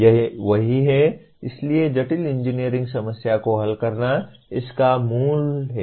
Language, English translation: Hindi, That is what it, so solving complex engineering problem is the core of this